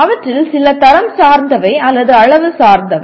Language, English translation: Tamil, Some of them are qualitative or some are quantitative